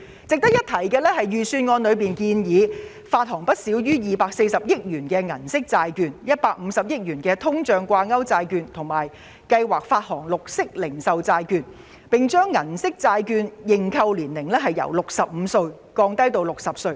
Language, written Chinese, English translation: Cantonese, 值得一提的是，預算案建議發行不少於240億元銀色債券及150億元通脹掛鈎債券，並且計劃發行綠色零售債券，又把銀色債券的認購年齡由65歲降低至60歲。, It should be noted that as proposed in the Budget the Government will issue no less than 24 billion of Silver Bond and 15 billion of inflation - linked iBond and plan to issue green retail bonds . It has also lower the eligible age for subscribing Silver Bond from 65 to 60